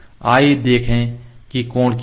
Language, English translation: Hindi, Let us see what is the angle